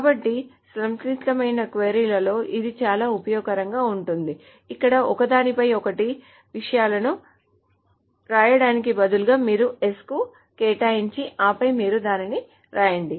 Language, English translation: Telugu, So this is very useful in complex queries where instead of just writing things on top of each other, you assign to S and then you write it down